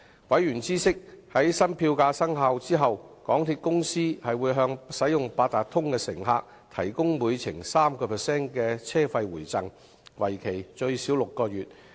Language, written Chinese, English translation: Cantonese, 委員知悉，在新票價生效後，港鐵公司會向使用八達通的乘客提供每程 3% 車費回贈，為期最少6個月。, Members noted that upon the implementation of new fares MTRCL would provide the 3 % Rebate to Octopus users for at least six months